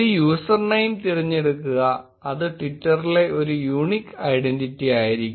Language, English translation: Malayalam, Choose a username, which will be a unique identity on twitter and then click next